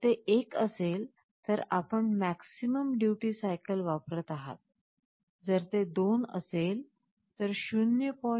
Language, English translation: Marathi, If it is 1, then you are using the maximum duty cycle of 1